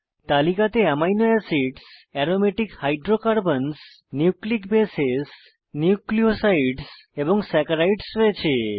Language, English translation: Bengali, List contains Amino acids, Aromatic hydrocarbons, Nucleic bases, Nucleosides and Saccharides